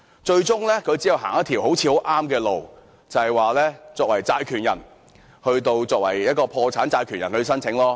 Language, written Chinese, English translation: Cantonese, 最終只可以走上一條看似正確的路，就是以破產債權人的身份索償。, In the end they can only opt for a seemingly right direction to lodge claims as creditors in bankruptcy cases